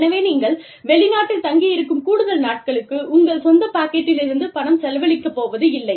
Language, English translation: Tamil, So, you pay for those extra days, that you stay in the foreign country, out of, from your own pocket